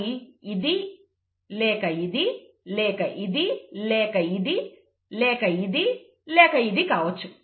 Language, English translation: Telugu, It would either be this and this or this and this or this and this